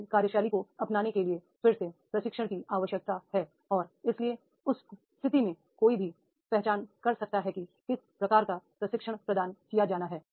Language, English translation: Hindi, To adopt the new style of functioning again training need is there and therefore in that case one can identify how to what type of training is to be provided